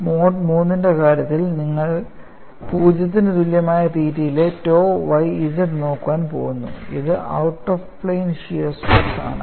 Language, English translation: Malayalam, ; Iin the case of Mode 3, you are going to look at tau yz, at theta equal to 0, which is the out of plane shear stress;